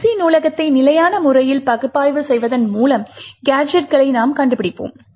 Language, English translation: Tamil, The way we find gadgets is by statically analysing the libc library